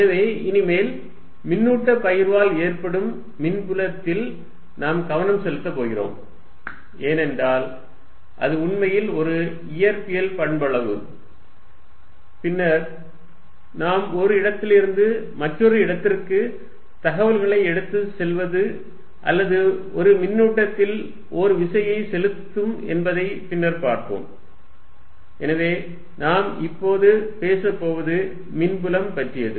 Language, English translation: Tamil, So, from now onwards, we are going to focus on the electric field produced by charge distribution, because that is what really is a physical quantity, and later we will see that is what really you now take information from one place to the other or it apply forces on for a given charge